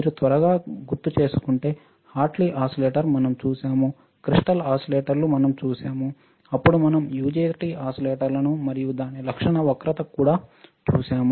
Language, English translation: Telugu, If you recall quickly Hartley oscillator this we have seen right, crystal oscillators we have seen, then we have seen UJT oscillators, and its characteristic curve right